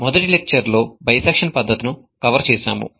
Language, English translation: Telugu, In the first lecture, we covered a method known as bisection method